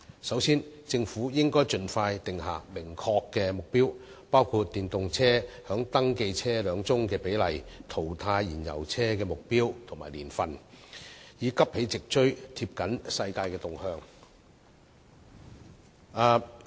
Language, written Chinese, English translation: Cantonese, 首先，政府應該盡快訂下明確目標，包括電動車在登記車輛中的比例、淘汰燃油車的目標年份，以急起直追，貼緊世界趨勢。, First of all the Government should expeditiously set a specific target including the proportion of EVs in registered vehicles and a target year for phasing out fuel - engined vehicles in order to catch up with and stay close to the world trend